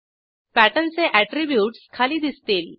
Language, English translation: Marathi, Attributes of Pattern appear below